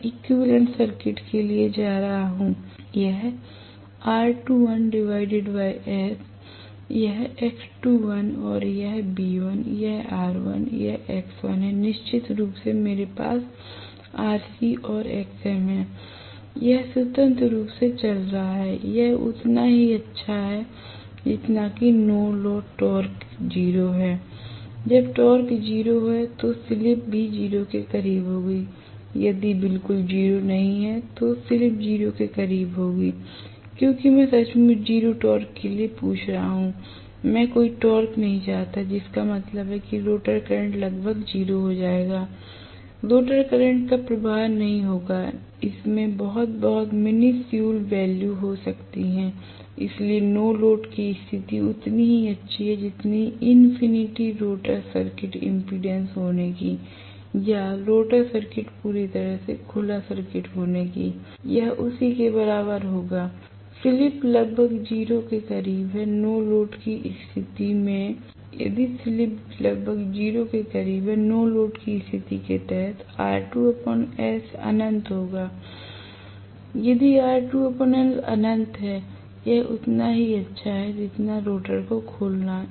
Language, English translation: Hindi, I am going to have rather equivalent circuit this R2 dash by S, this is X2 dash and this is V1 this is R1 this is X1, of course, I do have Rc and Xm, then it is running freely it is as good as no load the torque is 0, when the torque is 0, the slip will also be close to 0, if not exactly 0, slip will be close to 0 because I am asking for literally 0 torque, I do not want any torque that means the rotor current will be almost closed to 0